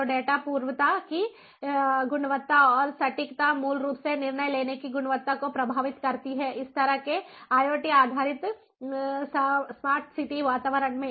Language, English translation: Hindi, so the quality of data precession and the accuracy basically affects the quality of decision making in this kind of iot based smart city environments